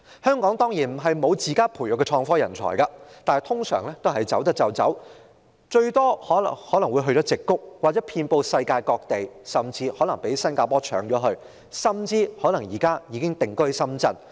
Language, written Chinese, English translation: Cantonese, 香港當然不是沒有自家培育的創科人才，但通常可以離港的也會離港，最多人會前往矽谷，而他們實際上遍布世界各地，甚至可能被新加坡搶走，或是已經定居深圳。, Of course it is not that Hong Kong does not have talents nurtured locally . Yet these talents will usually leave Hong Kong granted the opportunity and most of them will go to the Silicon Valley . Indeed they are found all over the world and some may be snatched by Singapore while some may settle in Shenzhen